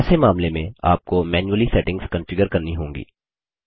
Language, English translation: Hindi, In such a case, you must configure the settings manually